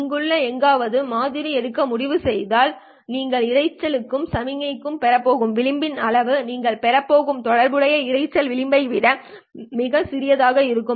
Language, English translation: Tamil, If you decide to sample somewhere over here, the amount of margin that you are going to get with signal to noise is much smaller than the corresponding noise margin that you are going to get